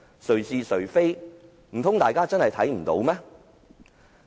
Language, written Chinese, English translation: Cantonese, 誰是誰非，難道大家真的看不到嗎？, Who is right and who is wrong is it possible that we fail to figure out?